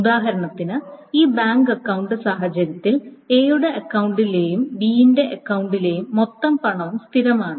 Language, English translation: Malayalam, Here the criterion is that the total amount of money in A's and B's account is constant